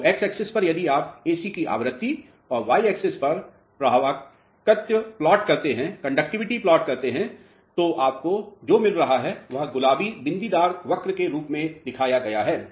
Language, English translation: Hindi, So, on x axis if you plot the frequency of AC and on y axis if you plot the conductivity what you will be getting is you will be getting a response which is shown as a pink dotted curve